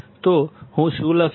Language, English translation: Gujarati, So, what I will write